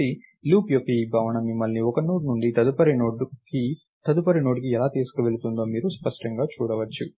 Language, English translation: Telugu, So, you can clearly see how this notion of a loop takes you from one Node to the next Node to the next Node and so, on